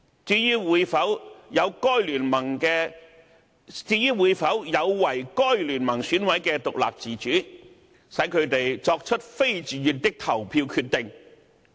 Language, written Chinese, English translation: Cantonese, 至於這做法會否有違該聯盟選委的獨立自主，使他們"作出非自願的投票決定"？, Will such a practice run counter to the independence and autonomy of EC members of the coalition rendering them to make voting decisions against their own wills?